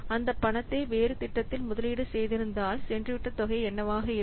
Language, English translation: Tamil, If that money could have been invested in a different project, then what could be the forgone amount